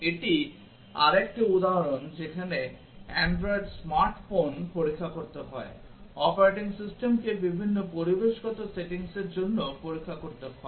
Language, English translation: Bengali, This is another example where Android smart phone has to be tested, the operating system has to be tested for various environmental settings